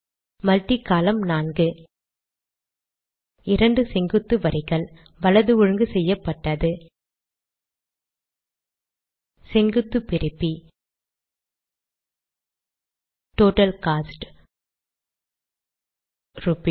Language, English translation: Tamil, Multi column four 2 vertical lines, right aligned vertical separator Total cost Rupees